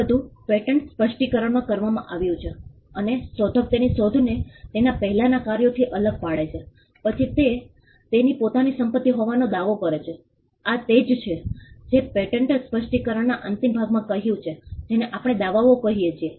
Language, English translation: Gujarati, All this is done in the patent specification, and after the inventor distinguishes his invention from what has gone before, he claims as something to be his own property, that is what is contained as I said in the concluding part of the patent specification what we call the claims